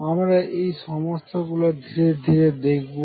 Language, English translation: Bengali, So, let us now take these problems step by step